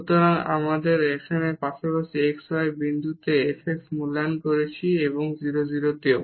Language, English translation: Bengali, So, we have now evaluated f x at x y point in the neighborhood and also at 0 0